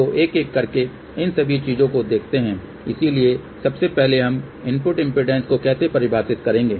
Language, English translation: Hindi, So, let see one by one , all these things , so first of all how do we define input impedance